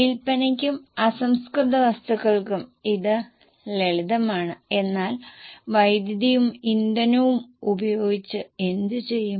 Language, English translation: Malayalam, For sales and raw material it is simple but what will you do with power and fuel